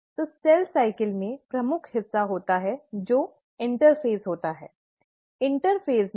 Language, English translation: Hindi, So the cell cycle has the major part which is the interphase